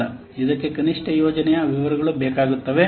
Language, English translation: Kannada, It requires minimal project details